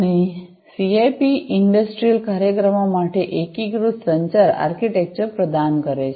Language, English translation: Gujarati, And, the CIP provides unified communication architecture for industrial applications